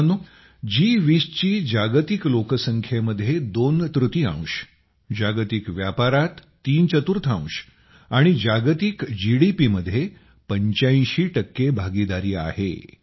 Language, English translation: Marathi, Friends, the G20 has a partnership comprising twothirds of the world's population, threefourths of world trade, and 85% of world GDP